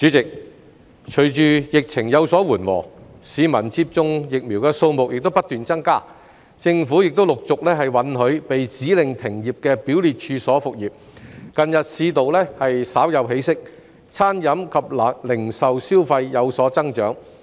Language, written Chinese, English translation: Cantonese, 主席，隨着疫情有所緩和，已接種疫苗的市民數目不斷增加，政府亦陸續允許被指令停業的表列處所復業，近日市道稍有起色，餐飲及零售消費有所增長。, President while the epidemic is easing the number of people who have received vaccination keeps increasing and the Government gradually allows scheduled premises which have been ordered to suspend operation to resume business . Recently the market has shown some signs of improvement with an increase in spending on food and beverage as well as retail